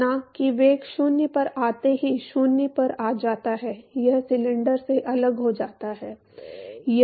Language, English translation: Hindi, So, much that the velocity comes to 0 the moment it comes to 0, it separates out from the cylinder